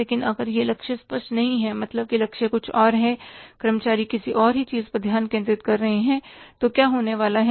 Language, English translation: Hindi, But if the target is not clear, is target is something else, employees are focusing upon something else, then what is going to happen